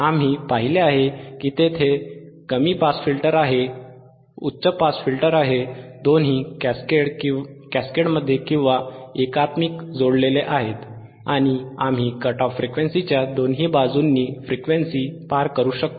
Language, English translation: Marathi, wWe have seen that right, what we have seen that there is a low pass filter, there is a high pass filter, both are connected in we are both are cascaded; and we could pass the frequencies either side of the cut off frequencies